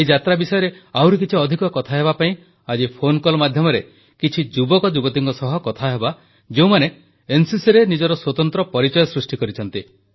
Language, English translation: Odia, To discuss more about this journey, let's call up a few young people, who have made a name for themselves in the NCC